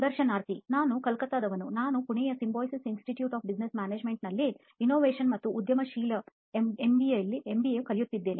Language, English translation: Kannada, I am from Calcutta, so I am perceiving MBA Innovation and Entrepreneurship from Symbiosis Institute of Business Management, Pune